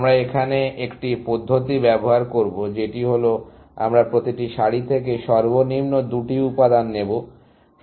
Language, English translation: Bengali, So, we will just use one method here, which is that we will take the lowest two elements from every row, essentially